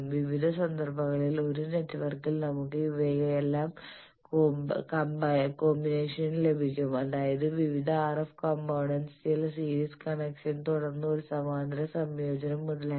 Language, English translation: Malayalam, Then in various cases suppose in a network we will have combination of all these, that suppose some series connections of various RF components then a parallel combination etcetera